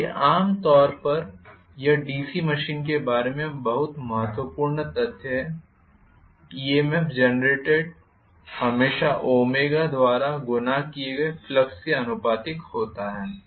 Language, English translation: Hindi, so, generally this is a very very important fact about DC machine, EMF generated is always proportional to flux multiplied by omega,right